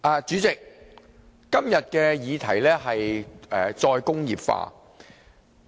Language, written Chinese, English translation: Cantonese, 主席，今天的議題是"再工業化"。, President the topic for discussion today is re - industrialization